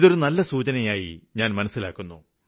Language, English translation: Malayalam, I consider this as a positive sign